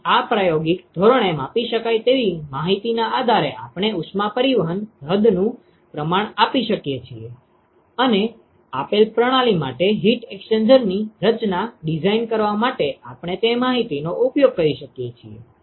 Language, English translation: Gujarati, So, based on this experimentally measurable information can we quantify the extent of heat transport and can we use that information to design, design heat exchanger for a given system